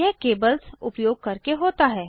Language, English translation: Hindi, This is done using cables